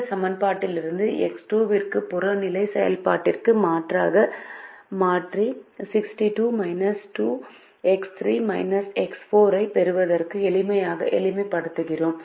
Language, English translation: Tamil, so we go back and substitute for x two from this equation into the objective function and rewrite it and simplify it to get sixty six minus two, x three minus x four